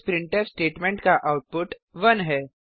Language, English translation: Hindi, The output of this printf statement is 1